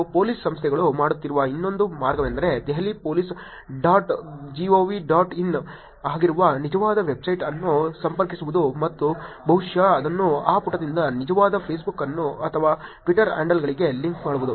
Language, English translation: Kannada, And the other way that Police Organizations are doing is to connect the actual website which is Delhi Police dot gov dot in and probably link it to the actual Facebook or Twitter handle from that page